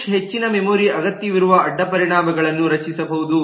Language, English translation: Kannada, push may create a side effect that more memory is needed